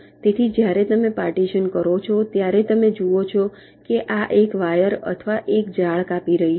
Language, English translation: Gujarati, so when you do a partition, you see that this one wire or one net was cutting